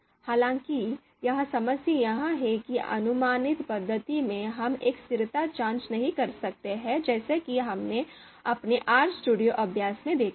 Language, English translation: Hindi, However, the problem is that the approximate method does not yield us the consistency, you know we cannot do a consistency check as we have seen in our RStudio exercise